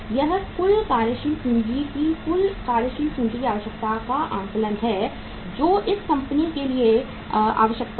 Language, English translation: Hindi, This is the total working capital requirement assessment uh assessment of the total working capital requirement for this company